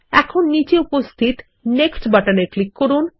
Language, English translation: Bengali, Now let us click on the Next button at the bottom